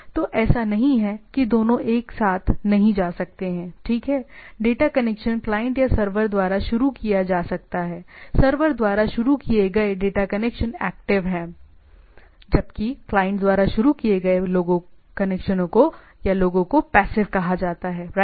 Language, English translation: Hindi, So, it is not the both can cannot go simultaneously, right, the data connection can be initiated either by the client or the server the data connection initiated by the server are active, while those initiated by the client are called passive, right